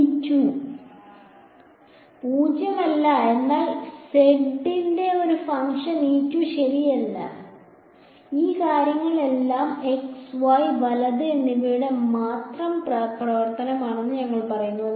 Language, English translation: Malayalam, Is nonzero, but E z is not a function of z right we said that all things are function of only x and y right